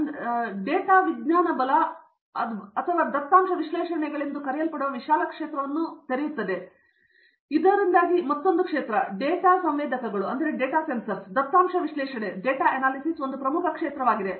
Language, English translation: Kannada, This opens up a vast field called data sciences right or data analytics so that is another field, data sensors, data analytics becomes one very important field